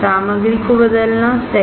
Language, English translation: Hindi, Changing the material, right